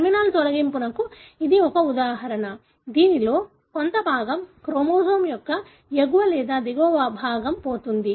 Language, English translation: Telugu, That is an example of terminal deletion wherein part of it, the upper or lower part of the chromosome being lost